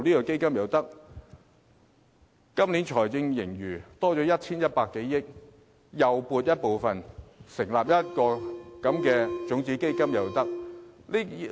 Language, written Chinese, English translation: Cantonese, 今年的財政盈餘增加至 1,100 多億元，亦可撥出部分盈餘來成立種子基金。, This years fiscal surplus went up to more than 110 billion . Part of the surplus can be allocated to setting up a seed fund